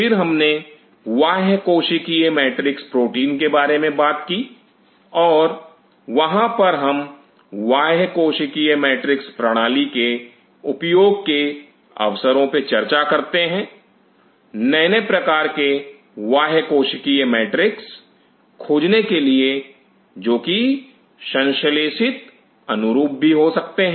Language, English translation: Hindi, Then we talked about extracellular matrix protein and there we discuss the opportunity of using extracellular matrix system to discover newer and newer extra cellular matrix which may be even synthetic analogues